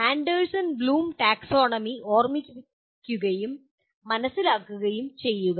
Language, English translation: Malayalam, Remember and understand of Anderson Bloom taxonomy